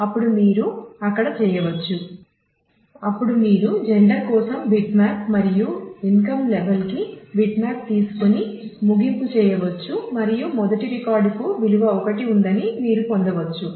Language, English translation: Telugu, So, say if you are looking at males at for example, here males at income level L 1, then you can you can just take the bitmap for gender and bitmap for income level and do the ending and you get that the first record has value 1